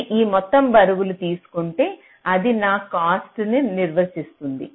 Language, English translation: Telugu, so if i take this sum of all the weights, that will define my cost